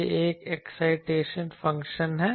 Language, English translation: Hindi, This is an excitation function